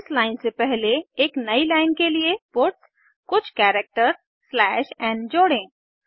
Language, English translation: Hindi, Before this line, add puts some characters slash n for a new line